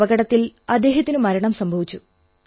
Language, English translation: Malayalam, He died in an accident